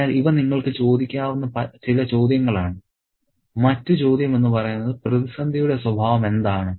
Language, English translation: Malayalam, So, these are some of the questions that you could ask and the other question is, what is the nature of the crisis